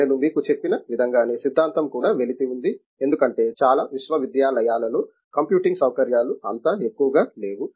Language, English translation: Telugu, In the same way as I told you theory also is about lacuna here because computing facilities in many universities are not so high